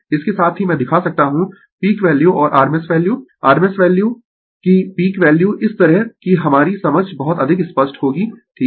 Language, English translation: Hindi, Simultaneously, I can show you the peak value and the rms value peak value of the rms value such that our our understanding will be very much clear right